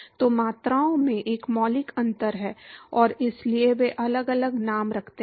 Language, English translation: Hindi, So, there is a fundamental difference in the quantities and that is why they carry different names